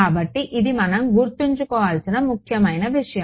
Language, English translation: Telugu, So, this is the important thing that we have to keep in mind